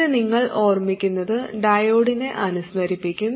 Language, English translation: Malayalam, And this, you recall, is reminiscent of the diode